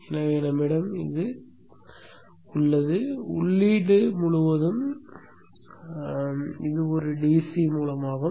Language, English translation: Tamil, So we have this input source and this is also a DC source